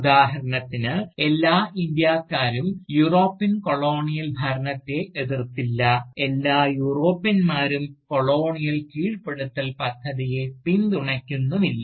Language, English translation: Malayalam, So, not all Indians for instance, opposed the European Colonial rule, and nor did all Europeans, support the project of Colonial subjugation